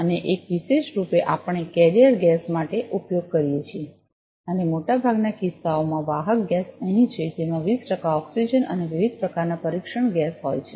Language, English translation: Gujarati, And one exclusively we use for the carrier gas and in most of the instances the carrier gas is here, which is having 20 percent of oxygen and a variety of test gas